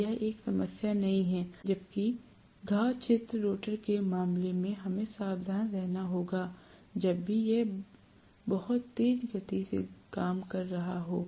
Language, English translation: Hindi, So, it is not is going to be a problem whereas in the case of wound field rotor, we have to be careful whenever it is working at a very high speed